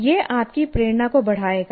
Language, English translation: Hindi, It will enhance your motivation